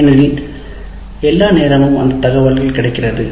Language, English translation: Tamil, Because all that information is all the time available